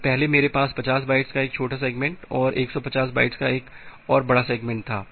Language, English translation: Hindi, So, earlier I have a small segment of 50 bytes and another large segment of 150 bytes